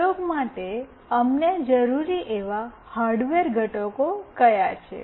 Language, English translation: Gujarati, What are the hardware components that we require for this experiment